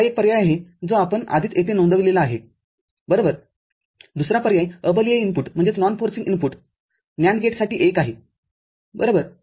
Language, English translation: Marathi, That is this is one option we have already noted over here right, the other option is non forcing input for a NAND gate is 1 right